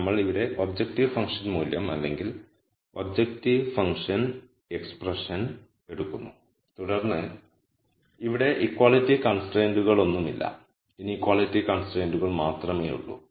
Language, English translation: Malayalam, So, we take the objective function value or the objective function expression here and then there are no equality constraints here, there are only inequality constraints